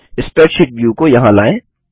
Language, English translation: Hindi, lets move the spreadsheet view here